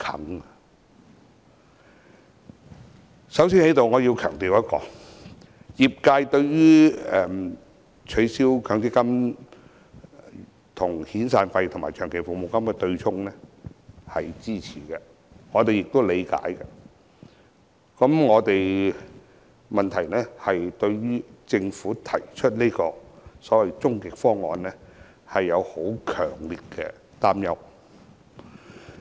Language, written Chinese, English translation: Cantonese, 我先在此強調一點，業界對於取消強積金跟遣散費和長期服務金對沖是支持的，我們也理解，但問題是我們對於政府提出的所謂終極方案，有強烈的擔憂。, Here I must stress that the sector supports offsetting severance payment SP and long service payment LSP with MPF benefits . We understand the purpose just that we are strongly concerned about the so - called ultimate proposal of the Government